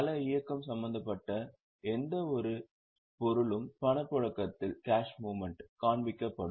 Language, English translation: Tamil, Any item where cash movement is involved will be shown in the cash flow